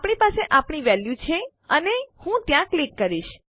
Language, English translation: Gujarati, We have our value in and I click there